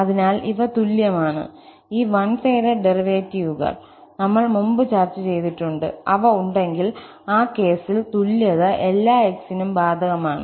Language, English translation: Malayalam, So, these are equal and these one sided derivatives, which we have discussed before, if they exist, in that case, the equality holds for all x